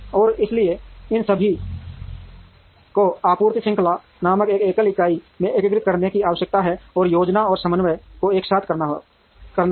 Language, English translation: Hindi, And therefore, there is a need to integrate all these into a single entity called the supply chain, and do the planning and coordination together